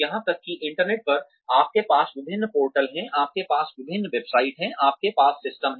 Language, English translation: Hindi, Even on the internet, you have various portals ,you have various websites,you have systems